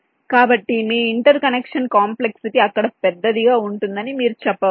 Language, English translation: Telugu, so you can say that your interconnection complexity will be larger there